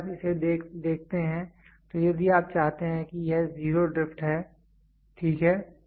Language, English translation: Hindi, If you look at it so, if you want this is zero drift, ok